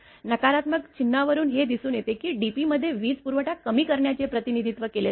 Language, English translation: Marathi, The negative sign actually reflects the fact that the dp represent reduction in power right